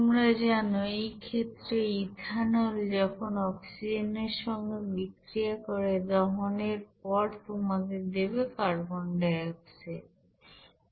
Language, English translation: Bengali, In this case ethanol will be you know reacting with oxygen which will give you that carbon dioxide and water after complete combustion